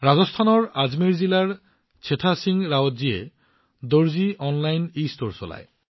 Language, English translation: Assamese, Setha Singh Rawat ji of Ajmer district of Rajasthan runs 'Darzi Online', an'Estore'